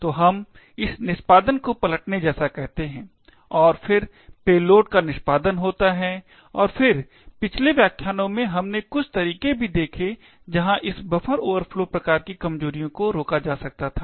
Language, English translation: Hindi, So, we called this as the subverting of the execution and then the execution of the payload and then in the previous lectures we had also seen a couple of ways where this buffer overflow type vulnerabilities could be prevented